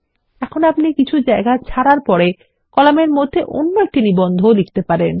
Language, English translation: Bengali, Now after leaving out some spaces you can write another article into the column